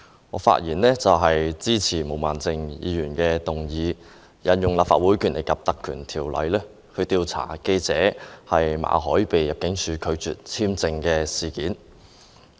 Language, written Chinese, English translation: Cantonese, 我發言支持毛孟靜議員的議案，藉此引用《立法會條例》調查入境事務處拒絕為記者馬凱的工作簽證續期的事件。, I speak in support of Ms Claudia MOs motion to inquire into the Immigration Departments rejection of work visa renewal for journalist Victor MALLET under the Legislative Council Ordinance